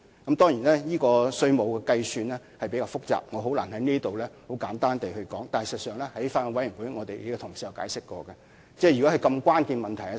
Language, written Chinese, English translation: Cantonese, 當然有關的稅務計算比較複雜，我難以在這裏很簡單地闡述，但事實上，在法案委員會的會議上，我們的同事已曾作出解釋。, The tax computation concerned is of course rather complicated and it is difficult for me to briefly explain here . But in fact at the Bills Committee meeting our colleagues have already given an explanation